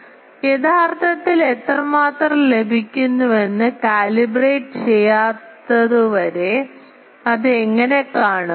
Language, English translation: Malayalam, So, how it will see unless and until it is calibrated that how much it receives originally